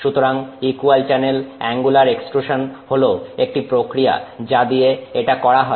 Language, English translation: Bengali, So, equal channel angular extrusion is one process by which this is done